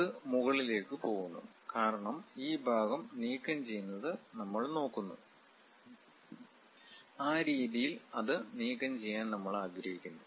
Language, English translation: Malayalam, It goes all the way to top; because we are considering remove this part, in that way we would like to remove it